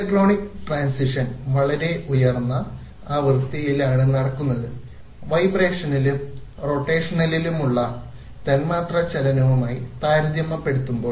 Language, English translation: Malayalam, Electronic transitions take place at very high frequencies compared to the molecular motion in vibrations and rotations